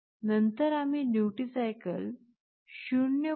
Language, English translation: Marathi, Then we make the duty cycle as 0